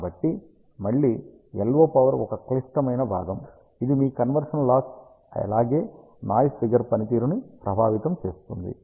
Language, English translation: Telugu, So, again the LO power is a critical component it affects your conversion loss as well as noise figure performance